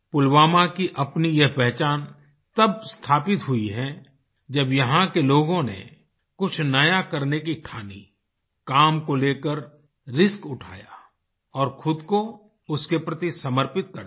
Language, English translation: Hindi, Pulwama gained this recognition when individuals of this place decided to do something new, took risks and dedicated themselves towards it